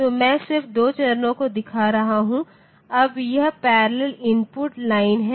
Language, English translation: Hindi, So, I am just showing 2 stages now this parallel input line